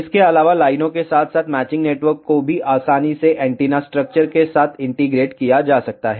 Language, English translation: Hindi, Also feed lines as well as matching network can be easily integrated with antenna structure itself